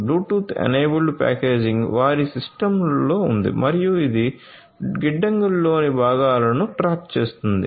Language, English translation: Telugu, Bluetooth enabled packaging is there in their system and it tracks the components in the warehouses